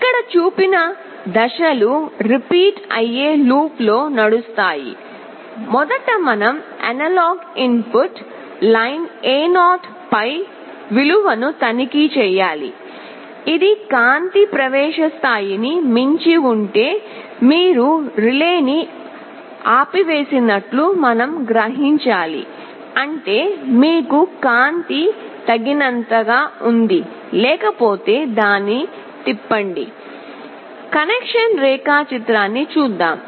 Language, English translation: Telugu, The steps as shown here will be running in a repetitive loop First we will have to check the value on the analog input line A0, if it exceeds the threshold level for the light that we are trying to sense you turn off the relay; that means, you have sufficient light otherwise turn on the relay; that means, the bulb will glow